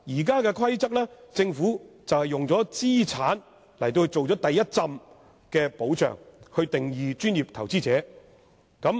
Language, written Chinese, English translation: Cantonese, 根據現行《規則》，政府以資產作為第一重保障，訂定了"專業投資者"的定義。, Under the existing PI Rules the Government provides the first guarantee by prescribing some monetary thresholds of assets and setting out a definition of professional investor